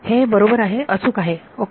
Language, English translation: Marathi, It is correct right ok